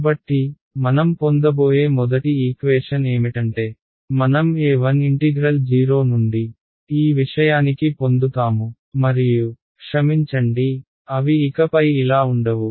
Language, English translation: Telugu, So, the first equation as before what we will get is I will get a 1 integral from 0 to this thing and I have sorry they will not be this anymore